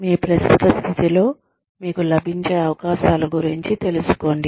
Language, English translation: Telugu, Be aware of the opportunities, available to you, in your current position